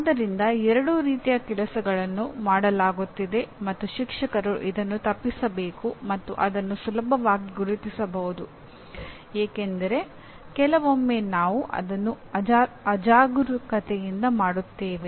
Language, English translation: Kannada, So both these things, both the types of things are being done and a teacher should avoid this and that can be easily identified because sometimes we do it inadvertently